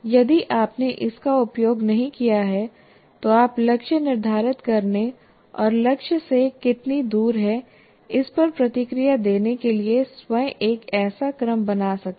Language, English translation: Hindi, If you have not used this, you can construct such a sequence yourself of setting goals and giving feedback how far you are from the goal